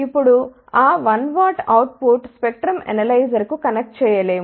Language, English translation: Telugu, Now, that 1 watt output cannot be connected to the spectrum analyzer